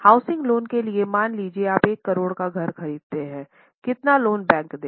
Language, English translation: Hindi, For a housing loan, let us suppose you are buying a house of 1 crore, how much loan bank will give